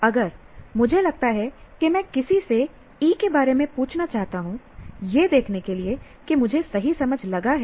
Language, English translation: Hindi, If I think to ask someone about E to see if I have it right, for example, I think I have understood it, but I am not so very sure